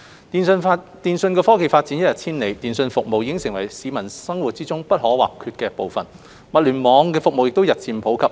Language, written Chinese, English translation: Cantonese, 電訊科技發展一日千里，通訊服務已成為市民生活不可或缺的部分，物聯網服務亦日漸普及。, With the rapid development of telecommunications technology communication services have become an indispensable part of peoples life and Internet of Things IoT services have become increasingly popular